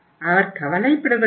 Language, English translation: Tamil, He does not care